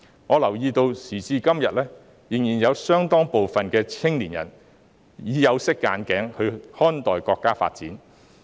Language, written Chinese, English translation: Cantonese, 我留意到時至今天，仍然有相當多青年人帶着有色眼鏡來看待國家發展。, I notice that nowadays a considerable number of young people are still looking at the development of the State through tainted glasses